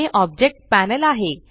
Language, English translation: Marathi, This is the Object Panel